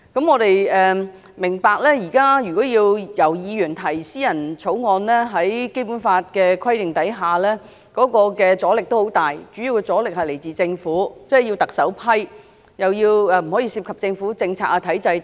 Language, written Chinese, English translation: Cantonese, 我們明白現在議員要提出私人條例草案，在《基本法》的規定下，會有很大阻力，主要來自政府，要特首批准，又不可以涉及政府政策和體制等。, The resistance mainly comes from the Government since the bill will have to be approved by the Chief Executive and that the subject of the bill cannot involve any government policies or structures